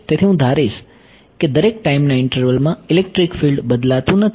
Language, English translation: Gujarati, So, I am going to assume that over each time interval electric field does not change right